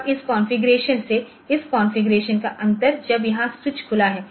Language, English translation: Hindi, Now, the difference from this configuration to this configuration when this we here when the switch is open